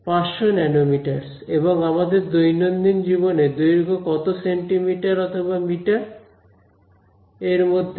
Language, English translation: Bengali, 500 nanometers, let us say what is the size of our day to day objects; on the order of centimeters meters right